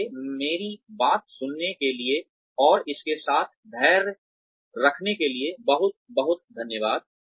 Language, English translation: Hindi, So, thank you very much for listening to me, and being patient with this